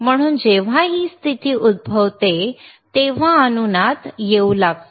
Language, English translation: Marathi, So, when this condition occurs, then the resonancet will start occurring